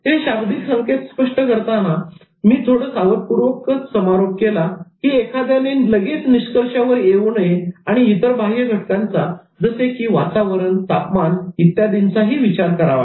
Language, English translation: Marathi, So I ended with some caution while interpreting this non verbal cues that one should not jump into conclusions and one should always consider other external factors like temperature, weather, etc